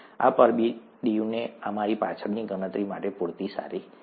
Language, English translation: Gujarati, These are good enough for our back of the envelope calculations